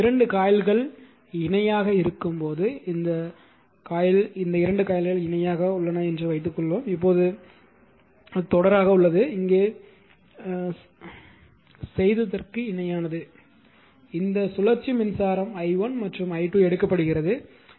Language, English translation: Tamil, Now, when 2 coils are in parallel suppose these 2 coils are in parallel that is series now this is a parallel what you have done it here that, current is this cyclic current is taken i1 and i 2